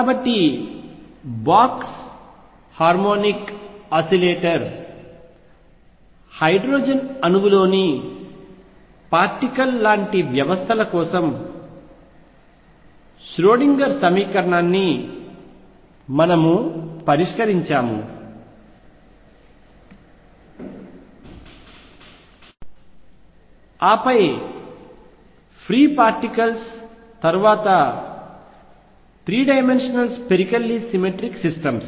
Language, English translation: Telugu, So, we solved Schrodinger’s equation for systems like particle in a box harmonic oscillator hydrogen atom then free particles then three dimensional spherically symmetric systems